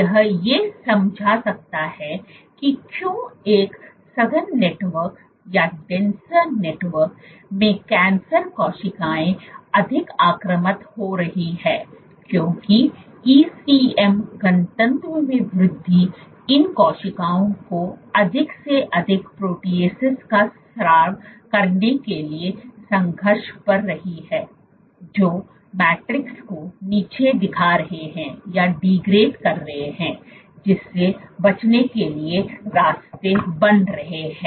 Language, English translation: Hindi, This might explain why in a more dense network cancer cells are getting more invasive because the increase in ECM density is struggling these cells to secrete more amount of proteases, which are then degrading the matrix thereby creating paths for escape